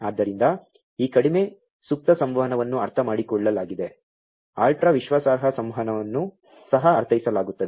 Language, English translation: Kannada, So, this low latency communication is understood, ultra reliable communication is also understood